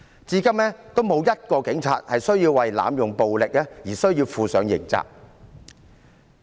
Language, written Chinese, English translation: Cantonese, 至今仍沒有1名警察需要為濫用暴力而負上刑責。, So far not a single police officer is criminally liable for the abuse of force